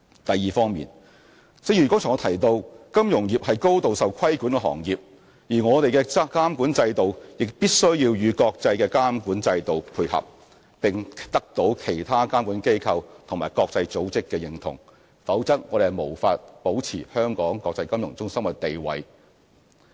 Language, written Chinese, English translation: Cantonese, 第二，正如我剛才提及，金融業是高度受規管的行業，而我們的監管制度亦必須與國際的監管標準配合，並得到其他監管機構及國際組織的認同，否則我們無法保持香港國際金融中心的地位。, Secondly as I have just said the financial industry is a highly regulated industry and it would be necessary for our regulatory regimes to comply with the international regulatory standards and obtain recognition from other regulatory bodies and international organizations otherwise we would not be able to maintain Hong Kongs status as an international financial centre